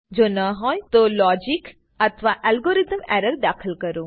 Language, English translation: Gujarati, If not, introduce some errors with the logic or algorithm